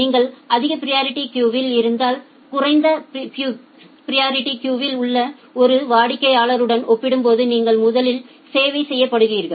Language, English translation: Tamil, If you are in the high priority queue you will be serviced first compared to a customer at the low priority queue